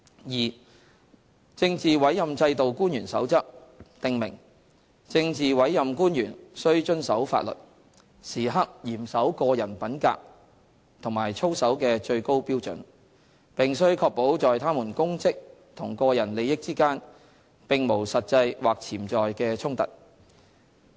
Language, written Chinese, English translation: Cantonese, 二《政治委任制度官員守則》訂明，政治委任官員須遵守法律，時刻嚴守個人品格和操守的最高標準，並須確保在他們公職和個人利益之間並無實際或潛在的衝突。, 2 The Code for Officials under the Political Appointment System the Code states that PAOs shall abide by the law and observe the highest standards of personal conduct and integrity at all times . They shall also ensure that no actual or potential conflict arises between their public duties and their private interests